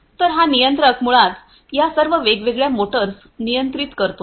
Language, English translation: Marathi, So, this controller basically controls all these different motors